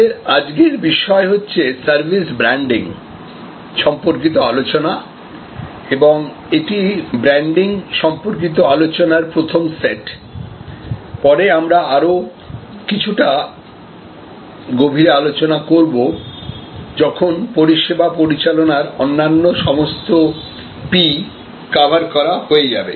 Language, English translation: Bengali, To discuss today's topic of service branding and this is the first set of discussion on branding, we will have another a little bit more advanced discussion later, when we have covered all the other P’s of service management as well